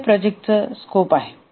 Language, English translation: Marathi, So, this is the project scope